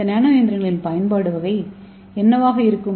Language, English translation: Tamil, So how to construct this nano machine